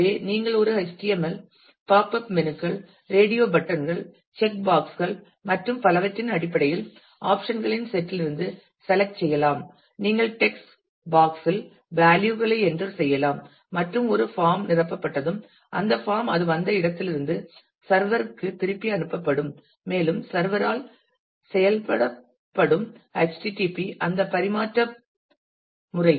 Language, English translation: Tamil, So, you can select from a set of options in terms of a HTML popup menus, radio buttons, check boxes and so, on; you can enter values to text box and once a form has been filled up that form will be sent back to the server from where it came and would be acted upon by the server http helps in that transfer mechanism